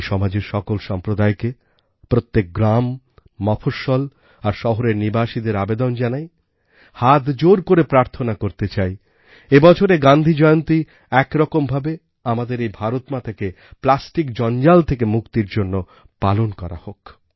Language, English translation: Bengali, I appeal to all strata of society, residents of every village, town & city, take it as a prayer with folded hands; let us celebrate Gandhi Jayanti this year as a mark of our plastic free Mother India